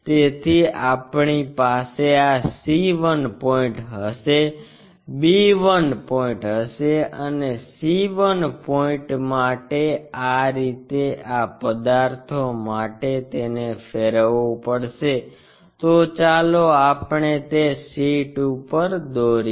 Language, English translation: Gujarati, So, we will have this c 1 point, b 1 point and c 1 point this is the way we make these rotations for this objects